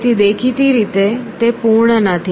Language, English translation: Gujarati, So; obviously, it is not complete